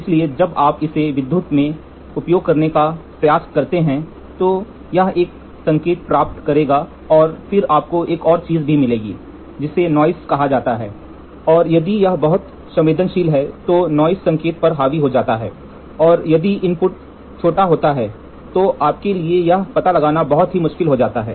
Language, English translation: Hindi, So, when you try to use it in electrical, it will get a signal and then you will also get one more term called as noise, and if it is too sensitive, the noise becomes dominating the signal, and if the input small variation then it becomes very difficult for you to find out